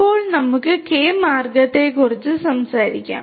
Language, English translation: Malayalam, Now, let us talk about this K means